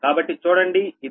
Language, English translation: Telugu, so what will do this